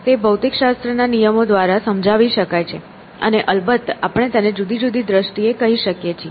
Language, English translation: Gujarati, It can be explained by the laws of physics, and of course, we may call it in different terms